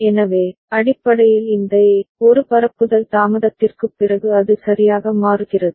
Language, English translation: Tamil, So, basically this A, after one propagation delay it changes right